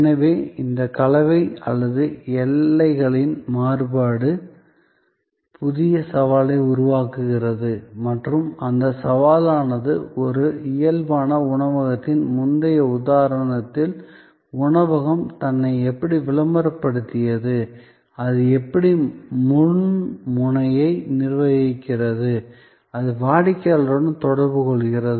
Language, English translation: Tamil, So, this mix or transience of the boundaries, create new challenge and that challenge is that in the earlier example of a physical restaurant, how the restaurant publicized itself, how it manage the front end, where it comes in contact with the customer